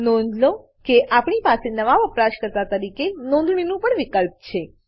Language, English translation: Gujarati, Notice, we also have an option to register as a new user